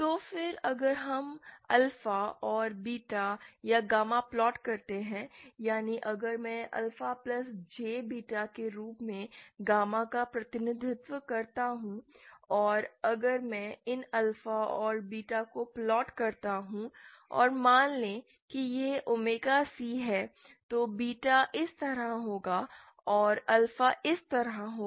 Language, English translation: Hindi, if I represent gamma as alpha plus J beta and if I plot these individual alphaas and betas then and suppose this is omega C then beta will be like this and alpha will be like this